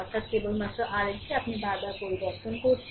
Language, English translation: Bengali, So; that means, only R L you are changing again and again